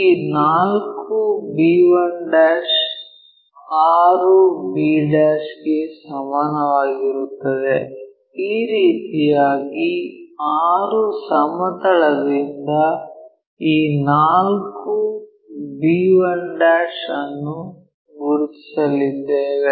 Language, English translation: Kannada, So, 4 b 1' is equal to 6 b' in such a way that this one 4 b 1' from the plane 6 we are going to identify